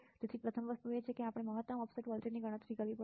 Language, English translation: Gujarati, So, the first thing is we have to calculate the maximum offset voltage